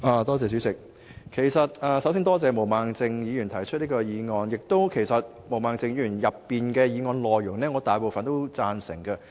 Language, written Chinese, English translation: Cantonese, 代理主席，首先多謝毛孟靜議員提出這項議案，我亦贊成毛孟靜議員所提議案的大部分內容。, Deputy President first of all I would like to thank Ms Claudia MO for moving this motion and I also agree with most part of her motion